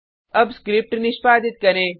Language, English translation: Hindi, Now let us execute the script